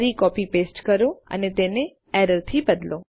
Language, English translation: Gujarati, Again copy paste and change that to error